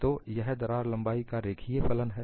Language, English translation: Hindi, So, it is a linear function of crack length